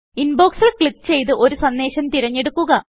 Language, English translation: Malayalam, Click on Inbox and select a message